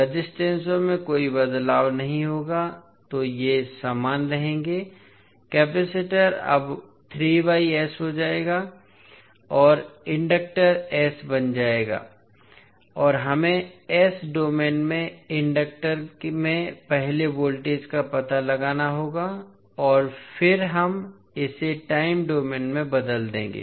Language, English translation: Hindi, So source will now become 1 by S there will be no change in the resistances so these will remain same, capacitor has now become 3 by S and inductor has become S and we need to find out first the voltage across the inductor in s domain and then we will convert it into time domain